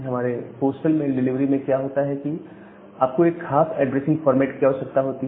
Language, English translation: Hindi, In case of our postal mail delivery you require a particular addressing format